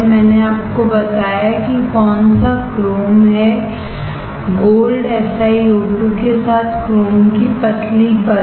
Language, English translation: Hindi, I told you which one chrome; thin layer of chrome over with gold SiO2